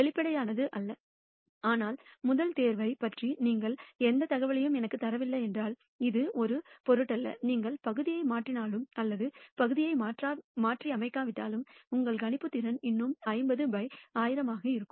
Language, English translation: Tamil, Non obvious, but it is the same if you do not give me any information about the first pick it does not matter, whether you replace the part or you do not replace the part your predictability your ability to predict still remains the same 50 by 1,000